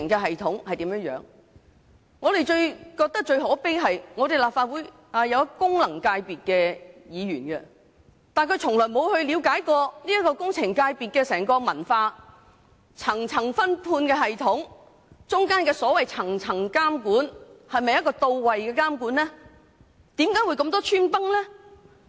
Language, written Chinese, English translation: Cantonese, 我認為最可悲的是，立法會內雖有相關功能界別的議員，但他們從未嘗試了解工程界別的整體文化，一層層的分判系統及當中涉及的層層監管是否到位，以及為何會出現這麼多漏洞。, To me it is most saddening that while there are Members belonging to the relevant functional constituency in the Legislative Council they have never tried to understand the general culture of the engineering sector . They have not tried to find out whether the multi - layer subcontracting system and the multi - level supervision system are effective and why there are so many loopholes